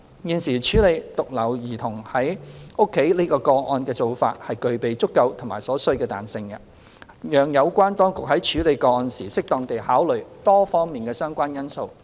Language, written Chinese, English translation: Cantonese, 現時處理獨留兒童在家個案的做法具備足夠和所需的彈性，讓有關當局在處理個案時適當地考慮多方面的相關因素。, The existing arrangement for addressing cases involving children being left unattended at home has the enough and necessary flexibility to allow the authorities handling the cases to suitably consider various relevant factors